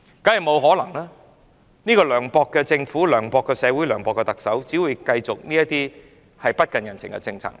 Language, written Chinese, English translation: Cantonese, 這個涼薄的政府、涼薄的社會、涼薄的特首，只會繼續推行這些不近人情的政策。, This unsympathetic Government unsympathetic society unsympathetic Chief Executive will only continue to implement such merciless policies